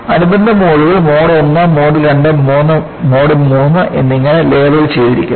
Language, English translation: Malayalam, And, these are labeled as Mode I, Mode II and Mode III